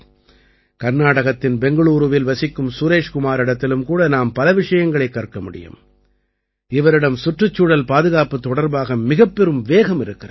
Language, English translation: Tamil, We can also learn a lot from Suresh Kumar ji, who lives in Bangaluru, Karnataka, he has a great passion for protecting nature and environment